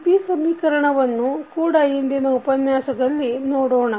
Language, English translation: Kannada, And, we will also see the state equation in the today’s session